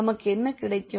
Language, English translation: Tamil, What we will get